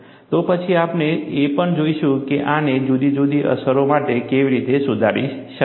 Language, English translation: Gujarati, Then, we will also look at, how this could be modified for different effects